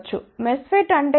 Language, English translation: Telugu, What is a MESFET